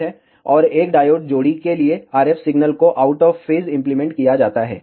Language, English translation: Hindi, And for one diode pair, RF signal is applied out of phase